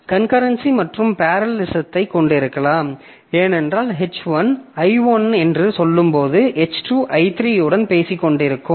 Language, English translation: Tamil, I can have concurrency plus parallelism also because when H1 is talking to say I1 so H2 may be talking to I3